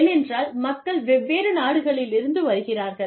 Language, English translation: Tamil, Because, people are coming from, different countries